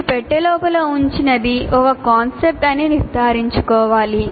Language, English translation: Telugu, You should make sure whatever you put inside the box is actually a concept